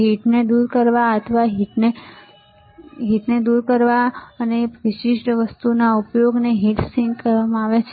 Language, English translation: Gujarati, The use of this particular thing is called heat sink to take away the heat or dissipate the heat